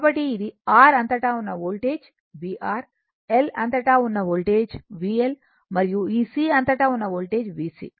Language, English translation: Telugu, So, it is voltage across a R is V R, voltage across L is V L, and voltage across this C